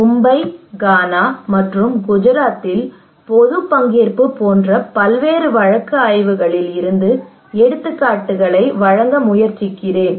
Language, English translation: Tamil, I will try to give a picture from different case studies like public participations in Mumbai, in Ghana and also in Gujarat okay